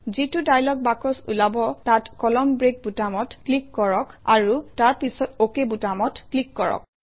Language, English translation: Assamese, In the dialog box which appears, click on the Column break button and then click on the OK button